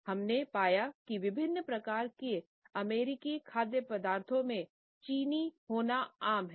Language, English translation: Hindi, We find that it is common in different types of American foods to have sugar